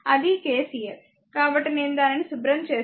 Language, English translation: Telugu, That is KCL so, let me clean it , right